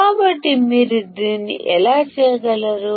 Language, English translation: Telugu, So, how can you do that